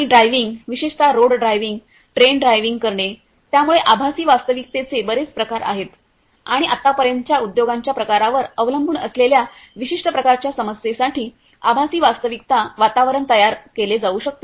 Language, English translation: Marathi, And driving; driving particularly on road driving train drivers, so there are many different types of applications of virtual reality and so far depending on the type of industry the virtual reality environments can be created for the specific type of problem that is being addressed